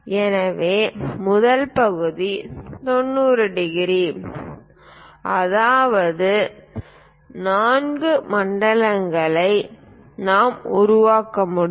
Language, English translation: Tamil, So, first part 90 degrees; that means, four zone we will be in a position to construct it